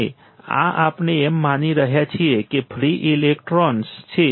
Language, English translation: Gujarati, And thus, we are assuming that there are free electrons